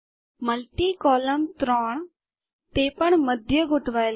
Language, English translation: Gujarati, Multi column, three, also to be center aligned